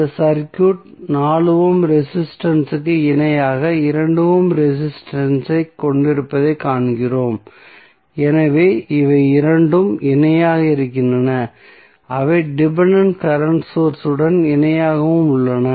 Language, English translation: Tamil, We just see that this circuit contains 2 ohm resistance in parallel with 4 ohm resistance so these two are in parallel and they in turn are in parallel with the dependent current source